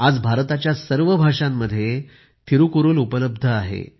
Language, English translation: Marathi, Today, Thirukkural is available in all languages of India